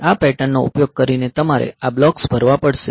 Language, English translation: Gujarati, So, using this pattern, so you have to fill up these blocks